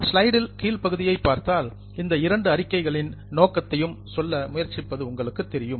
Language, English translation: Tamil, If you look at the bottom part of the slide, it is sort of trying to tell the purpose of these two statements